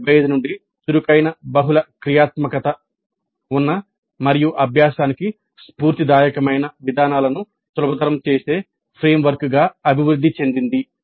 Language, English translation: Telugu, ADE has evolved since 1975 into a framework that facilitates active, multifunctional situated and inspirational approaches to learning